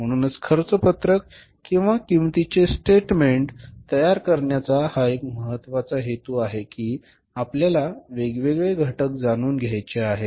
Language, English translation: Marathi, So, this is the one important purpose for preparing the cost sheet or the statement of the cost this way that we have to know the different components